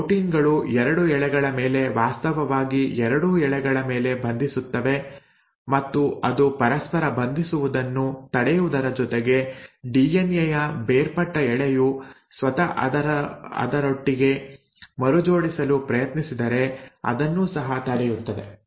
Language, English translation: Kannada, These proteins will bind on either of the 2 strands, both the 2 strands actually, and it will prevent it not only from binding to each other; if the DNA the separated strand tries to recoil with itself, it will prevent that also